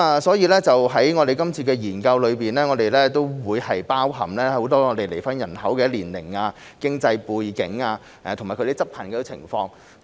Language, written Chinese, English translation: Cantonese, 所以，在本次研究中，我們會包含離婚人口的年齡、經濟背景和執行情況。, As such we will include in this study the age and economic background of divorcees and the enforcement situation